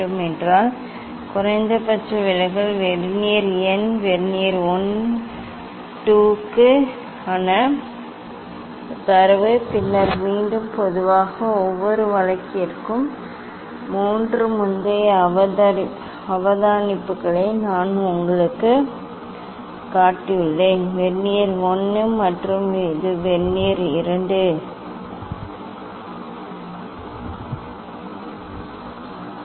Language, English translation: Tamil, again, these data for minimum deviation vernier number vernier 1, vernier 2, then for again generally we take for each case three observation like earlier I have shown you; Vernier 1 and this is vernier 2, ok